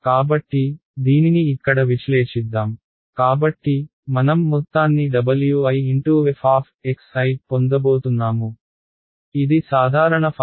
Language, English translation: Telugu, So, let us evaluate this over here; so, I am going to get its going to be sum of w i f of x i that is my general formula